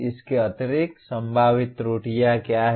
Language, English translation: Hindi, In addition to that what are the possible errors